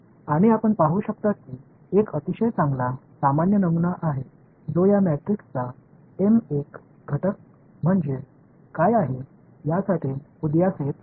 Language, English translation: Marathi, And you can see there is a very nice general pattern that is emerging for what is the m n element of this matrix is a